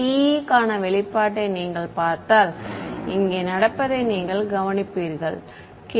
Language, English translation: Tamil, If you look at the expression for TE same thing you will notice happening over here k 1 z and e 2 z over here